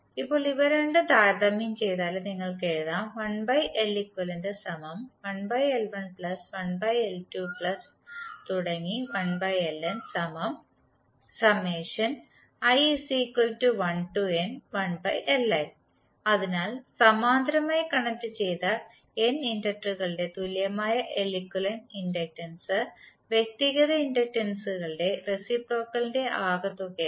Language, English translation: Malayalam, So what you can say, equivalent inductance of N parallel connected inductors is reciprocal of the sum of the reciprocal of individual inductances